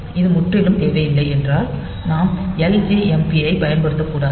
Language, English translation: Tamil, So, if it is not absolutely necessary we should not use ljmp